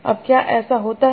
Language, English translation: Hindi, Now does that happen